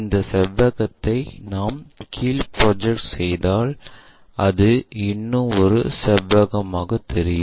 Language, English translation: Tamil, If we are projecting this rectangle all the way down it gives us one more rectangle